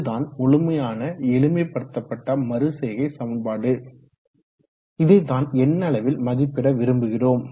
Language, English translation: Tamil, So this is the entire simplified iterative equation that we would like to numerically compute